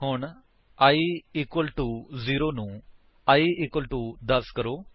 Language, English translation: Punjabi, So, change i equal to 0 to i equal to 10